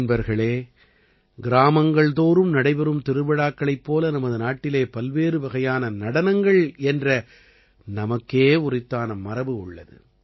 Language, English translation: Tamil, Friends, just like the fairs held in every village, various dances here also possess their own heritage